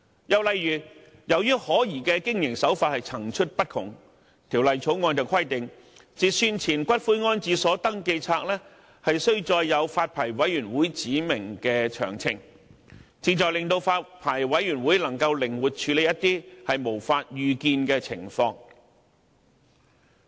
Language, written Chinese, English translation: Cantonese, 又例如，由於可疑的經營手法層出不窮，《條例草案》規定截算前的骨灰安置所登記冊須載有發牌委員會指明的詳情，旨在令發牌委員會能夠靈活處理一些無法預見的情況。, Another example is that in view of the endless dubious operation practices the Bill requires the registers of pre - cut - off columbaria to contain the particulars specified by the Licensing Board so that it can flexibly deal with unforeseen circumstances